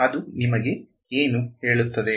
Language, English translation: Kannada, What does that tell you